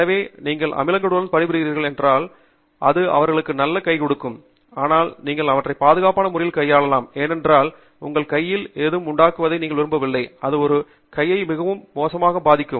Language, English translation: Tamil, So, if you are working with acids, then these may be better gloves to have, so that you can handle them in a safe manner, because you donÕt want anything spilling on your hand, damaging your hand very badly, severely